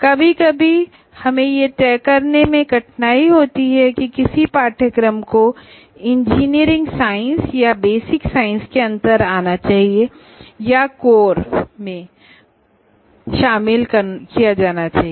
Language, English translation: Hindi, So we have to tolerate sometimes we may say one particular course, should it come under engineering science or basic science or should be shifted to core and so on, these issues will always be there